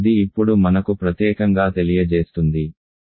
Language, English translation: Telugu, This will now in particular tell me that, we can say Z X 1